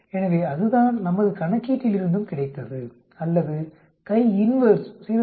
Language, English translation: Tamil, So that is what we got from our calculation also or we can say CHIINV 0